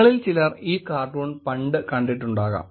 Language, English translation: Malayalam, Some of you may have seen this cartoon in the past